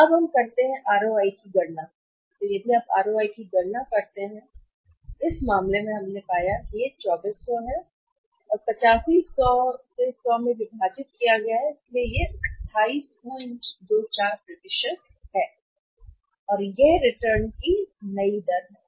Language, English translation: Hindi, So, now let us calculate the ROI, if you calculate the ROI, in this case we have found the ROI here is 2400 and divided by 8500 into 100, so this is how much is 28